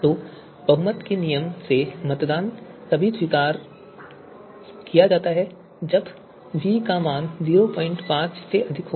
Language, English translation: Hindi, So voting by majority rule is only accepted then the value of v is to be greater than 0